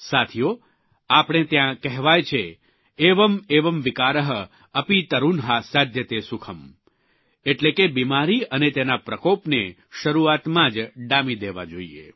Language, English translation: Gujarati, Friends, we have an adage" Evam Evam Vikar, api tarunha Saadhyate Sukham"… which means, an illness and its scourge should be nipped in the bud itself